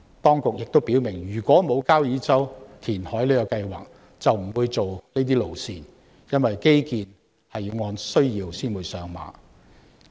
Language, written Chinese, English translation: Cantonese, 當局亦表明，沒有交椅洲填海計劃，就不會計劃這些路線，因為基建是按需要才上馬的。, The authorities have stated that without the reclamation project on Kau Yi Chau such roads will not be planned because infrastructure is planned and constructed on a need basis